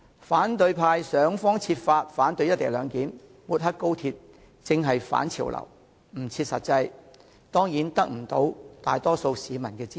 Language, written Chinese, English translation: Cantonese, 反對派議員想方設法反對"一地兩檢"安排，不惜抹黑高鐵，正是反潮流的做法，不切實際，自然未能得到大多數市民支持了。, Opposition Members have actually gone against such trends when they tried in every way to oppose and smear the co - location arrangement for XRL at all costs and it is only natural that such an unrealistic approach cannot enlist the support of the majority of Hong Kong people